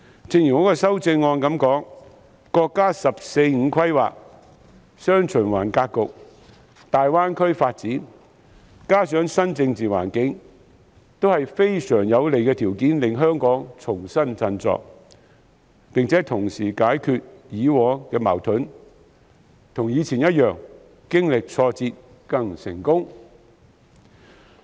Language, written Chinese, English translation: Cantonese, 正如我在修正案指出，國家"十四五"規劃、"雙循環"格局、大灣區發展，加上新的政治環境，都是能令香港重新振作的極有利條件，並能同時解決以往的矛盾，讓香港跟以前一樣，經歷挫折後更成功。, As I have pointed out in my amendment the National 14th Five - Year Plan the dual circulation pattern the development of the Greater Bay Area as well as the new political environment are all extremely favourable conditions for the reinvigoration of Hong Kong and it will be possible for us to resolve past conflicts also so that Hong Kong will as in the past attain even greater success after experiencing some setbacks